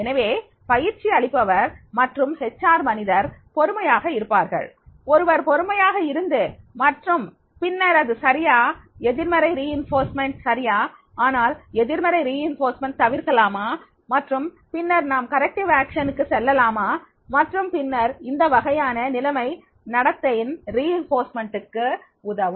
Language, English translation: Tamil, So, I have a patience as a trainer and HR person one has to keep the patience and then see that is the okay, negative reinforcement is okay but can we avoid negative reinforcement and then we can avoid negative reinforcement and then we can go for the corrective action also and then that type of the situation that will help for the reinforcement of the behavior